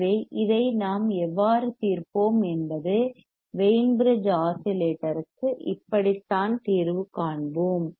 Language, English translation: Tamil, So, this is how we will solve this is how we will solve for the Wein bridge oscillator